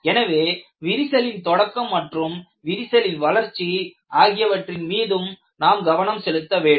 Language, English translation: Tamil, So, you have to work upon crack initiation as well as crack propagation